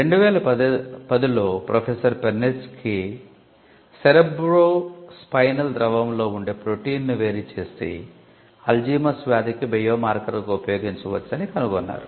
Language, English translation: Telugu, In 2010 Professor Perneczky isolated protein in cerebrospinal fluid that could be used as a biomarker for Alzheimer’s disease